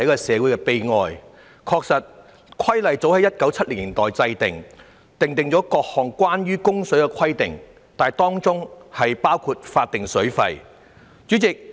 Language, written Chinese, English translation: Cantonese, 《水務設施規例》早在1970年代制定，訂定了各項關於供水的規定，當中包括法定水費的安排。, The Waterworks Regulations were enacted as early as in the 1970s to provide for various requirements for supplying water including the statutory regime for charging water tariffs